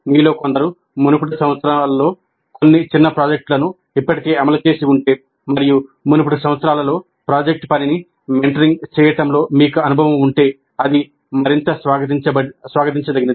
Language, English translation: Telugu, But if some of you have already implemented some mini projects in the earlier years and if you do have an experience in mentoring project work in earlier years, that would be actually more welcome